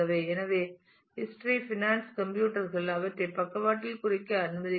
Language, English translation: Tamil, So, history finance computers let me let me just mark them by the side